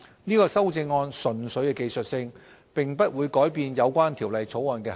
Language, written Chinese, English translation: Cantonese, 這項修正案純粹技術性，並不會改變有關《條例草案》的涵義。, The amendments are purely technical in nature and will not change the essence of the Bill